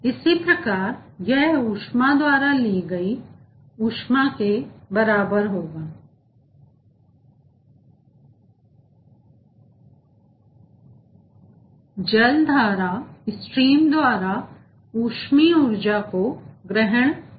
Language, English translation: Hindi, similarly, this will be equal to the heat picked up, thermal energy picked up by the water stream